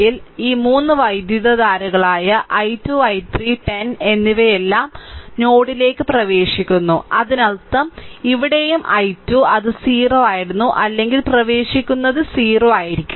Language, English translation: Malayalam, So, this this all these 3 currents i 2, i 3 and 10 all are entering into the node; that means, here also i 2, there also leaving it was 0 or entering also it will be 0